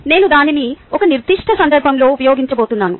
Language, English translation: Telugu, ok, i am going to use it in a particular context